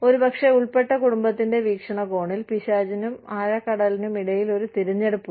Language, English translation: Malayalam, Maybe, from the perspective of the family involved, there is a choice between, the devil and the deep sea